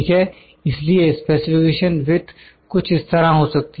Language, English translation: Hindi, So, the specification width can be like this